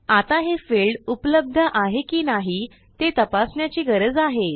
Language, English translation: Marathi, We will need to check this field to see whether they exist or not